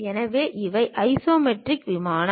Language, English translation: Tamil, So, these are isometric plane